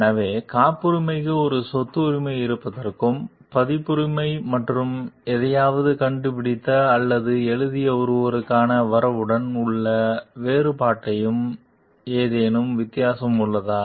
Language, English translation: Tamil, So, is there any difference between like having a property right for patent and copyright and the difference with the credit for someone who has invented or written something